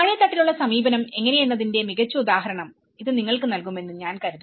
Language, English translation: Malayalam, I think this gives you a good example of how the bottom up approach